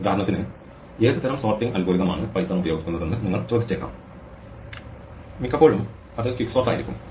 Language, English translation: Malayalam, You might ask, for example, what sort is sorting algorithm is python using; very often it will be quicksort